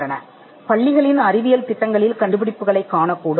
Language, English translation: Tamil, Now you could find inventions in schools, science projects